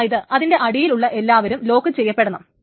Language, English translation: Malayalam, Everything under it is supposed to be locked as well